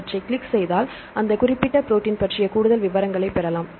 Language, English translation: Tamil, So, click on this then we can go get to more details on that particular specific protein